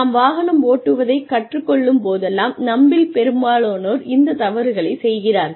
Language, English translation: Tamil, Whenever, we learn driving, most of us make these mistakes